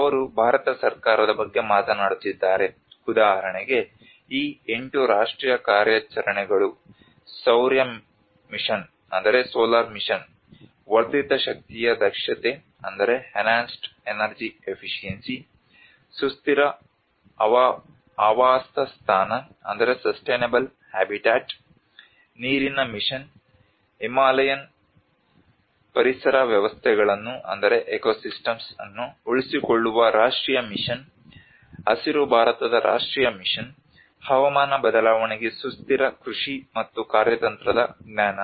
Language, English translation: Kannada, They are talking about Government of India have established the different national missions like for instance these eight national missions which talks about the solar mission, enhanced energy efficiency, sustainable habitat, water mission, national mission on sustaining Himalayan ecosystems, national mission on green India, sustainable agriculture and strategic knowledge for climate change